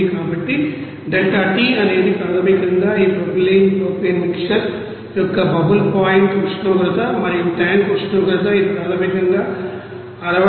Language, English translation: Telugu, So, delta T is basically that bubble point temperature and tank temperature of this propylene propane mixer and it is basically 62